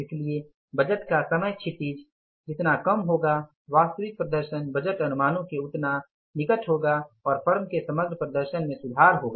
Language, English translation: Hindi, So, shorter the budget horizon, nearer the actual performance will be to the budgeted estimates and the overall performance of the firm will improve